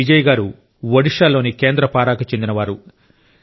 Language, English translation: Telugu, Bijayji hails from Kendrapada in Odisha